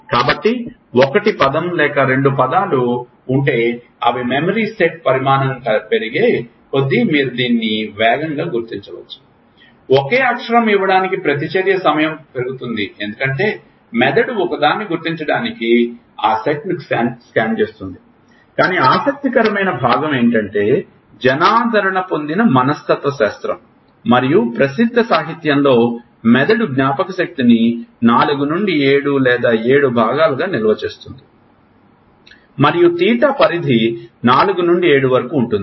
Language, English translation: Telugu, So, they may if there is 1 word or 2 words you can recognize this faster as the number of size of memory set increases, the reaction time to give a single letter increases because, the brain would be scanning that set to recognize one, but the interesting part is, it is said in popular psychology and popular literature that brain stores memory in chunks of 4 to 7 or 7 and the theta range is 4 to 7